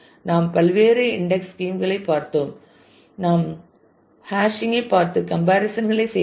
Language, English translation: Tamil, And we have looked at various different indexing schemes, we have looked at hashing and made comparisons